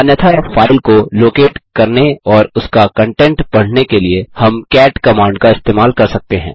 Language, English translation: Hindi, Otherwise we can use the cat command to locate the file and read the contents of it